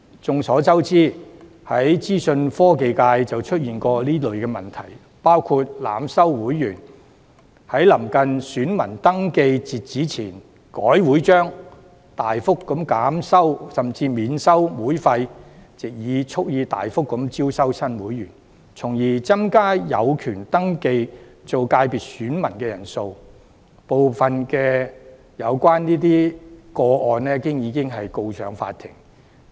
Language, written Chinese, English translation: Cantonese, 眾所周知，資訊科技界便曾經出現這類問題，包括濫收會員，在臨近選民登記截止日期前修改會章、大幅減收甚至免收會費，蓄意藉此招收大量新會員，從而增加有權登記為界別選民的人數，當中部分個案已經進入司法程序。, We are well aware that some of these problems have arisen in the Information Technology Constituency including the indiscriminate admission of members modifications to the constitution of associations near the deadline for voter registration substantial reduction or even exemption of membership fees to purposefully admit a large number of new members with a view to increasing the number of individuals eligible to register as voters of the FC . Legal proceedings in relation to some of these cases have already been set in motion